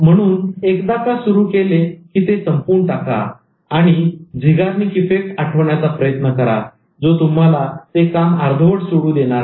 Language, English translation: Marathi, So, once you start it, finish it and keep remembering Zygarnic effect that it's not going to leave you